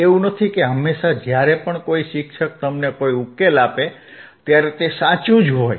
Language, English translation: Gujarati, It is not that always whenever a teacher gives you a solution, it may beis correct